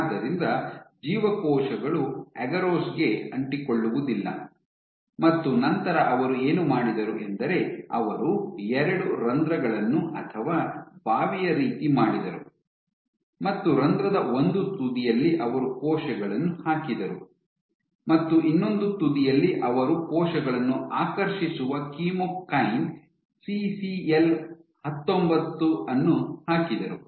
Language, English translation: Kannada, So, the cells cannot adhere to agarose and what they did then was there punched two holes on two ends of the well in one end they introduced cells and the other end they introduced chemokine CCL 19, which attracts the cells